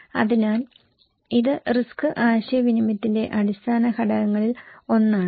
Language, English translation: Malayalam, So, this is one of the basic components of risk communications